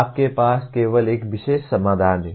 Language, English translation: Hindi, There is only one particular solution you have